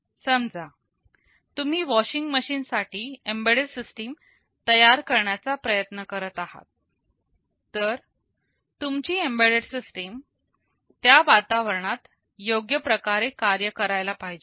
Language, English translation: Marathi, Suppose, you are trying to build an embedded system for a washing machine, so your embedded system should be able to function properly in that environment